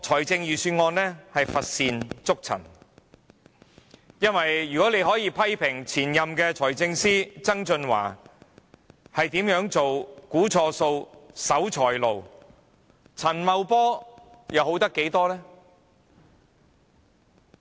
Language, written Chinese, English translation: Cantonese, 這份預算案乏善足陳，如果大家可以批評前任財政司司長曾俊華如何估算錯誤、是守財奴，陳茂波又可以好多少？, This Budget really leaves much to be desired . If people criticize Mr John TSANG the former Financial Secretary for miscalculating the surplus and was a miser how much better is Paul CHAN? . This is merely a case of a pot calling a kettle black